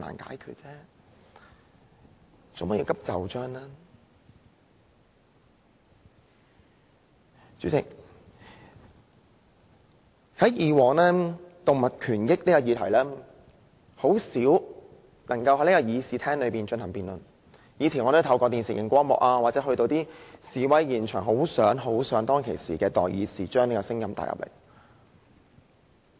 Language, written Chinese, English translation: Cantonese, 代理主席，以往有關動物權益的議題，很少能夠在議事廳內進行辯論，我以前透過電視或前往示威現場，很想當時的代議士將這個聲音帶入議會。, Deputy President in the past issues relating to animal rights were rarely debated in this Chamber . Back then whether sitting in front of the television or standing at the scenes of demonstrations I strongly hoped that representatives of the people could bring this voice into the legislature